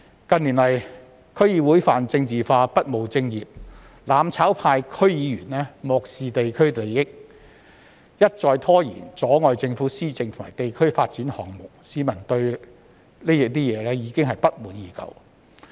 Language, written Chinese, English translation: Cantonese, 近年來，區議會泛政治化、不務正業，"攬炒派"區議員漠視地區利益，一再拖延、阻礙政府施政和地區發展項目，市民對此不滿已久。, In recent years DCs have been making everything political and failed to attend to proper business . DC members of the mutual destruction camp have ignored the interests of the districts kept procrastinating and hindered government administration and district development projects thus the public have long been dissatisfied